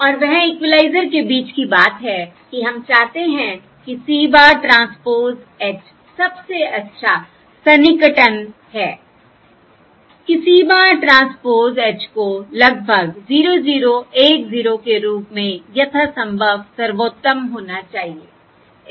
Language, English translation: Hindi, And that is the point between equaliser, that is, we want C bar transpose H equals this thing or, as best approximation, that is, C bar transpose H should approximate 0 0, 1 0 as best as possible